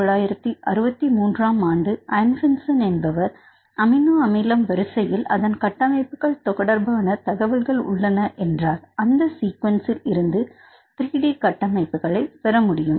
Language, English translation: Tamil, In 1963 Anfinsen stated that the amino acid sequence contains the information regarding the structures, and in this case it may be possible to get the 3 D structures from just amino acid sequence